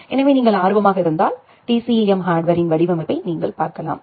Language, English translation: Tamil, So, if you are interested you can look into the design of the TCAM hardware